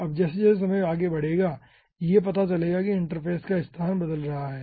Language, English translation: Hindi, now ah, as time progresses, will be finding out that the interface location is changing